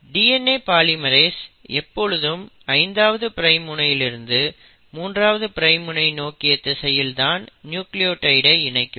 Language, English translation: Tamil, And DNA polymerase always adds nucleotides in a 5 prime to 3 a prime direction